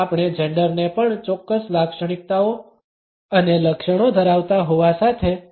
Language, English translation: Gujarati, We cannot also associate a gender is having certain characteristics and traits